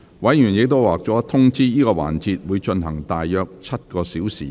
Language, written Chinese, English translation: Cantonese, 委員已獲通知，這個環節會進行約7小時。, Members have already been informed that this session will take approximately seven hours